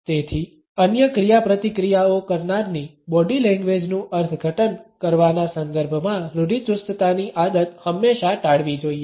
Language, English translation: Gujarati, Therefore, a stereotyping is a habit should always be avoided in the context of interpreting the body language of other interactants